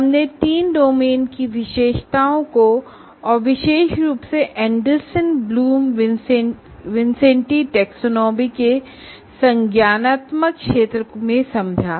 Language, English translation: Hindi, We understood the features of the three domains and particularly in the cognitive domain, the Anderson Bloom Wincenti taxonomy